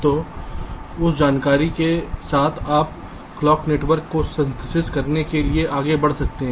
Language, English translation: Hindi, so so with that information you can proceed to synthesis the clock network